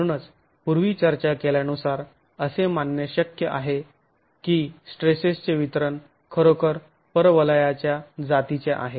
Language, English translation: Marathi, So we as discussed earlier it is possible to assume that the distribution of stresses here at this edge is really parabolic in nature